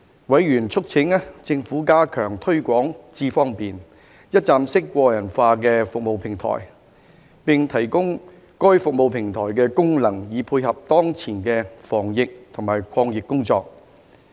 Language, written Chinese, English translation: Cantonese, 委員促請政府加強推廣"智方便"一站式個人化服務平台，並提供該服務平台的功能以配合當前的防疫及抗疫工作。, Members urged the Government to enhance the promotion of the iAM Smart one - stop personalized service platform and enable the functions of the service platform to complement the current work on preventing and fighting the epidemic